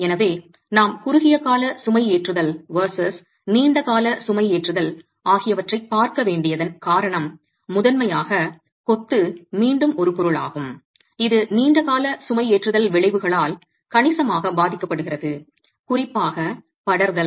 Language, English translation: Tamil, So, the reason why we need to be looking at short term loading versus long term loading is primarily because masonry again is a material that is significantly affected by long term loading effects, particularly creep